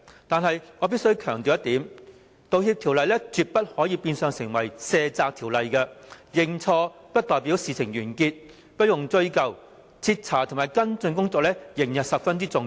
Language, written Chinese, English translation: Cantonese, 但是，我必須強調一點，《道歉條例草案》絕不可變相成為一項卸責的條例，認錯不代表事情完結、不用追究，徹查及跟進工作仍然十分重要。, However I must emphasize that the Bill must never be used as a means of denying responsibility . The admission of mistakes does not mean the end of everything and all actions . Thorough investigation and follow - up actions are still very important